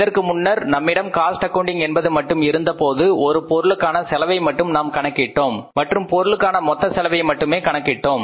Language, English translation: Tamil, Now, earlier when we had the cost accounting only, we started working out the cost of the product and we worked out only the total cost of the product